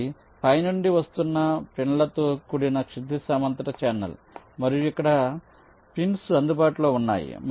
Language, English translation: Telugu, it is a horizontal channel, with pins are coming from top and here the pins are available here and you will have to connect them